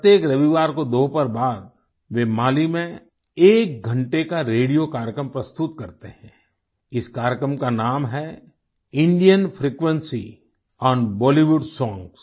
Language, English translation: Hindi, Every Sunday afternoon, he presents an hour long radio program in Mali entitled 'Indian frequency on Bollywood songs